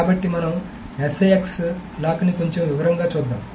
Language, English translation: Telugu, So let us go over the six lock in a little bit more detail